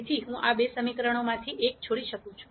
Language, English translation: Gujarati, So, I can drop one of these two equations